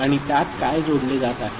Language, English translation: Marathi, And to which what is getting added